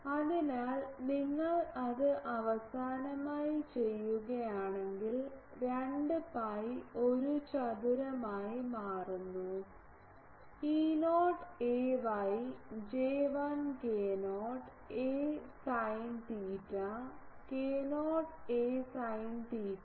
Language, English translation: Malayalam, So, if you do that it finally, becomes 2 pi a square E not a y J1 k not a sin theta by k not a sin theta